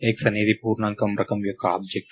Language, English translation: Telugu, So, x is an object of the type integer